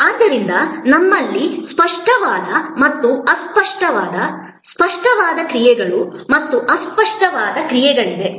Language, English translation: Kannada, So, we have tangible and intangible, tangible actions and intangible actions